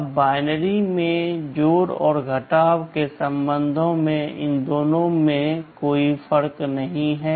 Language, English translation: Hindi, Now, with respect to addition and subtraction in binary these two make no difference